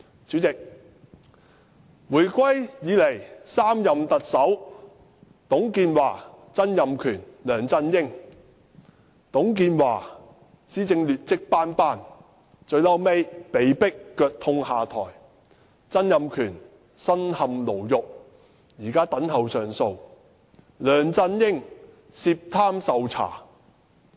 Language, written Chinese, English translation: Cantonese, 主席，回歸以來的3任特首董建華、曾蔭權、梁振英：董建華施政劣跡斑斑，最後被迫腳痛下台；曾蔭權身陷牢獄，現在等候上訴；梁振英涉貪受查。, President let us take a look at the three Chief Executives since the reunification . TUNG Chee - hwa performed poorly and was forced to step down with the excuse of foot pain; Donald TSANG is in prison pending appeal; and LEUNG Chun - ying is suspected of corruption and is under investigation